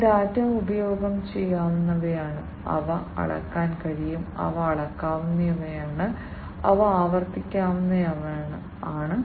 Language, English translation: Malayalam, These data are consumable, they can be measured, they are measurable, and they are repeatable, right